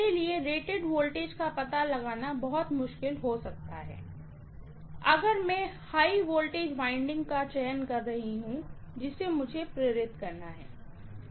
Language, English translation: Hindi, And it may be very difficult for me to find the rated voltage if I am choosing the high voltage winding which is to be excited